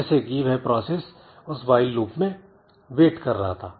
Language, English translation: Hindi, So, basically that process was waiting in that while loop